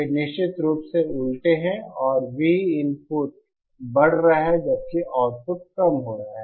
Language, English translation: Hindi, They are of course inverted and V input is rising we output is decreasing